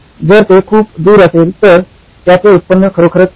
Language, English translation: Marathi, If it’s far away, my revenue is actually low